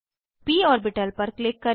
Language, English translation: Hindi, Click on the p orbital